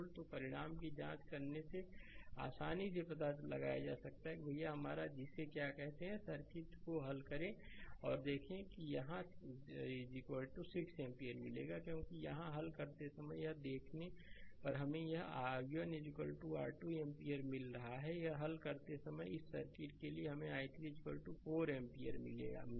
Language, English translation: Hindi, So, checking the result you can easily find out your this thing what you call, you solve the circuit right and see that i here you will get i is equal to 6 ampere, because when solving here while solving here look here we got i 1 is equal to your 2 ampere right and while solving here, here we got for this circuit we got i 3 is equal to 4 ampere right